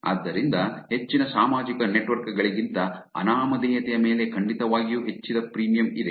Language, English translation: Kannada, So, there's definitely increased premium on anonymity than most social networks